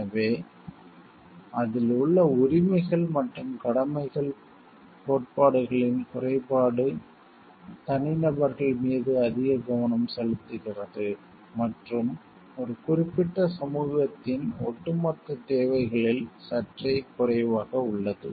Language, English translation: Tamil, So, the drawback of the rights and duties theories in it focuses more on the individuals and somewhat less on the like overall requirement of a particular society